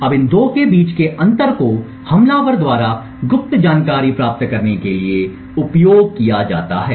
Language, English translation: Hindi, Now the differences between these 2 are then used by the attacker to gain secret information